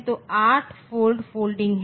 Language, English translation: Hindi, So, there is a 8 fold folding